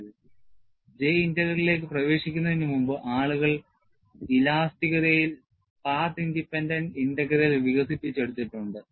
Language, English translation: Malayalam, And, before we get into J Integral, we have to look at, in elasticity, people have developed path independent integrals